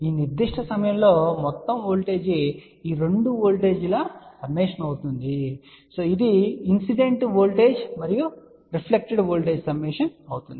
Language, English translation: Telugu, And so what will be the total voltage total voltage at this particular point will be summation of these two voltages which is incident voltage and reflected voltage